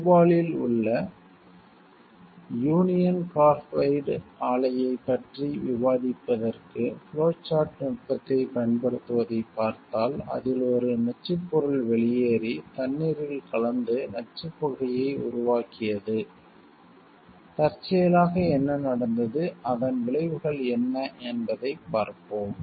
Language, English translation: Tamil, So, if we see use the flow chart technique to discuss about the union carbide plant in Bhopal case, where like a toxic substance was released and we mixed with water to create toxic fumes, we will see like how it what led which incidentally to which happening and what were the consequences of it